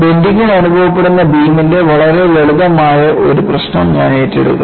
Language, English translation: Malayalam, And I will take up a very simple problem of beam and bending